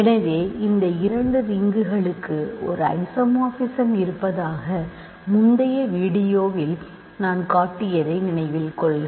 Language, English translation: Tamil, So, recall I have showed in an earlier video that there is an isomorphism between these two rings ok